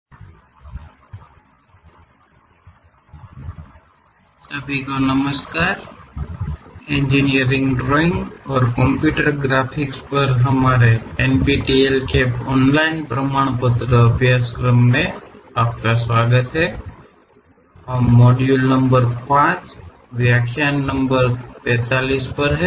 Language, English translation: Hindi, MODULE 02 LECTURE 45: Sections and Sectional Views Hello everyone, welcome to our NPTEL online certification courses on Engineering Drawing and Computer Graphics; we are at module number 5, lecture 45